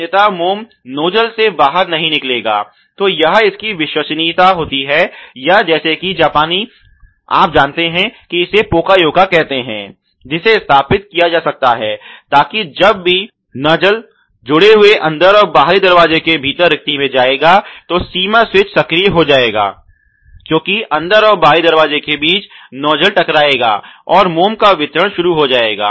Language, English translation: Hindi, Otherwise, the wax will not come out of the nozzle then it may be a full proofing or a as if Japanese you know call this Poka yoke which can be placed, so that whenever the nozzle is going into these smaller gap in the hemming region of the inner and outer door, the actuation of the limit switch because of a striking of the nozzle with respect to the inner or outer members is going to start the wax disposal here ok